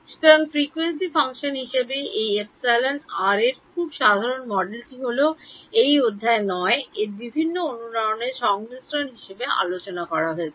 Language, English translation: Bengali, So, general a very general model of this epsilon r as a function of frequency is what is discussed in this chapter 9 as a summation of various resonances